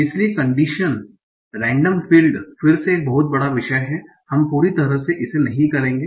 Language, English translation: Hindi, So condition random fields again is a very vast topic we will not cover fully